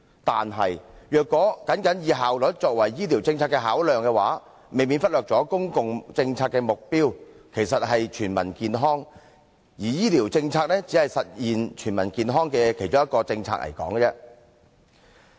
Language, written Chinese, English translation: Cantonese, 但是，如果僅以效率作為醫療政策的考量，未免忽略了公共政策的目標其實是全民健康，而醫療政策只是實現全民健康的其中一項政策而已。, However if we only judge a health care policy simply by its efficiency we may overlook that the objective of public policies is health for all and health care policy is only one of the policies for realization of health for all